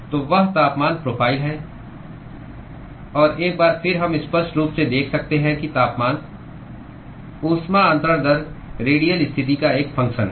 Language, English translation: Hindi, So, that is the temperature profile; and once again we can clearly see that the temperature the heat transfer rate is a function of the radial position